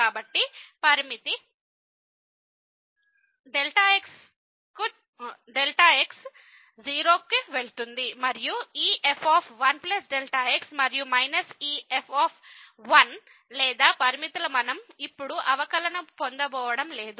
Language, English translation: Telugu, So, the limit , and this and minus this at 1 or just the limits we are not going to get the derivative now